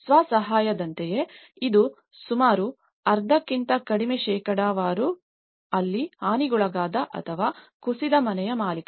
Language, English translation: Kannada, Self help similarly, it was almost less than half percentage that is where owner of badly damaged or collapsed house